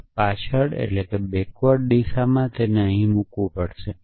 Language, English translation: Gujarati, In a backward direction I have to put and here